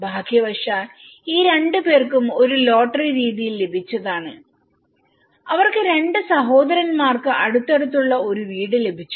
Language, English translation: Malayalam, Fortunately, these two people got in a lottery method, they got two brothers got an adjacent house